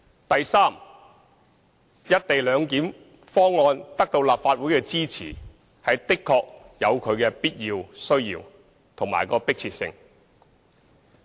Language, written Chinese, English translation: Cantonese, 第三，"一地兩檢"方案得到立法會支持，確實有其必要、需要及迫切性。, Third the Legislative Councils endorsement of the co - location proposal is essential necessary and urgent